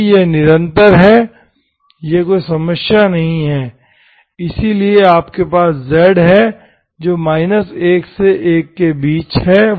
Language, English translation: Hindi, So because it is continuous, 0 is also, it is not an issue, so that you have z which is between minus1 to1